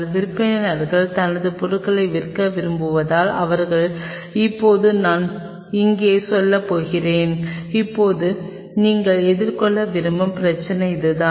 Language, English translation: Tamil, Because seller wants to sell his stuff they are now I am going to tell that here now this is the problem you want going to face